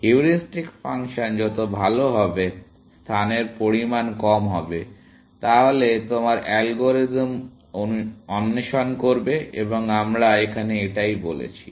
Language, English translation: Bengali, The better the heuristic function is, lesser the amount of space, that your algorithm will explore, and that is what we said here